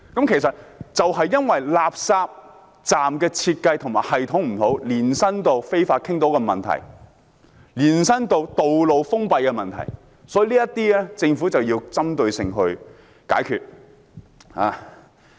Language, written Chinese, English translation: Cantonese, 其實，這正是因為垃圾站的設計和系統有問題，延伸到非法傾倒的問題，以至道路封閉的問題，因此政府必須針對性地解決問題。, In fact the problems of fly - tipping and road closure are all attributed to the design and systemic problem of the refuse collection point . Hence the Government must resolve the problem in a targeted approach